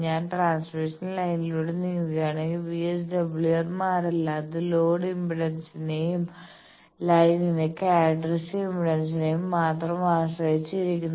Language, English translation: Malayalam, I say that if I move along transmission line VSWR does not change, it depends on only the load impedance and the characteristic impedance of the line